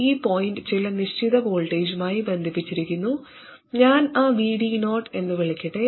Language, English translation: Malayalam, And this point is connected to some fixed voltage, let me call that VD 0